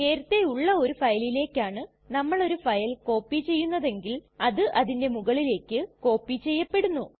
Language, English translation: Malayalam, We have seen if a file is copied to another file that already exists the existing file is overwritten